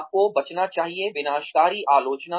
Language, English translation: Hindi, You should avoid, destructive criticism